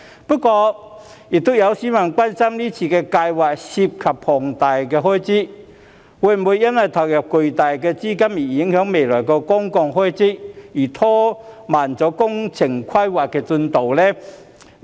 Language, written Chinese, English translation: Cantonese, 不過，亦有市民關心這項計劃涉及龐大開支，會否因投入巨大資金而影響未來的公共開支，因而拖慢工程規劃的進度？, However some members of the public are concerned whether the enormous capital investment involved in this project will have implications for the future public expenditure and thus delay the progress of the project